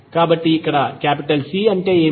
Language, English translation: Telugu, So, here what is C